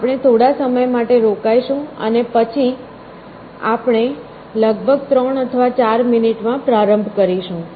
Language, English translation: Gujarati, So, we will stop for a while and then we will start in about 3 or 4 minutes essentially